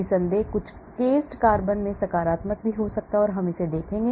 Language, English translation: Hindi, Of course in some cased carbons can have positive also, we will look at it